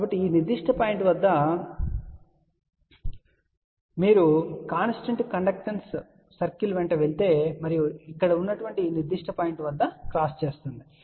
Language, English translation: Telugu, So, if at this particular point you move along the constant conductor circle and that particular thing over here will cross at this particular point where it is this here